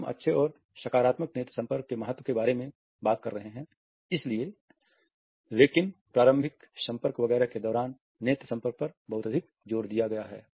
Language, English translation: Hindi, We have been talking about the significance of good and positive eye contact, but a too much emphasis on eye contact during initial contact etcetera